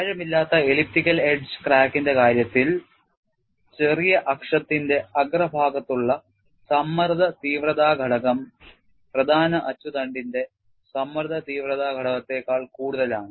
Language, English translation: Malayalam, In the case of a shallow elliptical edge crack, the stress intensity factor at the tip of the minor axis is higher than the stress intensity factor at the tip of the major axis